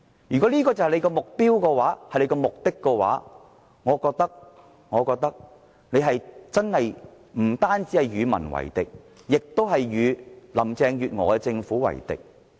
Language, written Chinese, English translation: Cantonese, 如果這就是他們的目的，我覺得他們不單是與民為敵，亦是與林鄭月娥政府為敵。, If that is their objective they are making enemies not only with the public but also with Carrie LAMs Government